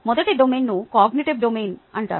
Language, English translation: Telugu, the first domain is called the cognitive domain